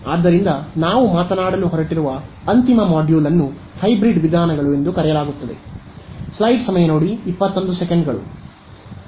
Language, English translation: Kannada, So, the final module that we are going to talk about are what are called Hybrid methods ok